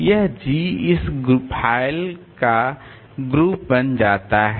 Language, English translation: Hindi, So, this G becomes the group of this file